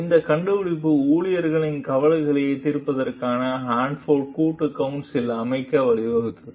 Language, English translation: Tamil, This finding led to the formation of the Hanford Joint Council for Resolving Employee Concerns